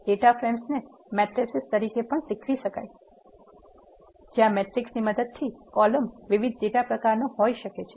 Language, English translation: Gujarati, Data frames can also be taught as mattresses where each column of a matrix can be of different data type